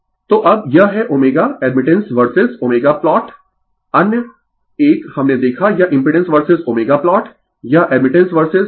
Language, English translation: Hindi, So, now, this is your omega admittance versus omega plot other one we saw this impedance versus omega plot this is admittance versus and this is your omega 0 right